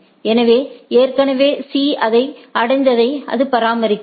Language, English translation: Tamil, So, but A already having that reaching C is the it maintains that